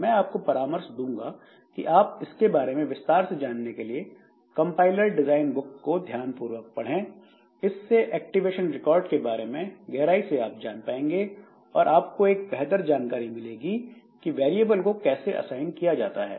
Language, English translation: Hindi, So, I would suggest that you look into some compiler design books for details about this activation record and all and you will get a better idea like how these variables are assigned